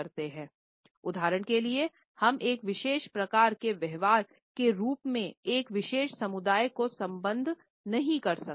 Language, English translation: Hindi, For example, we cannot associate a particular race as having a certain type of a behaviour